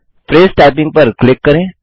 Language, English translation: Hindi, Click Phrase Typing